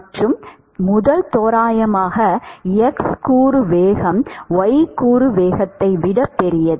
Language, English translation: Tamil, What about y component velocity y component velocity